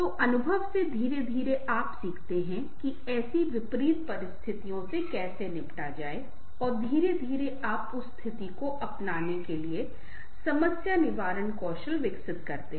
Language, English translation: Hindi, so from the experience, gradually you learn how to deal with such adverse situations and gradually develop the problem solving skills to adopt with that situations